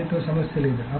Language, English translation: Telugu, There is no problem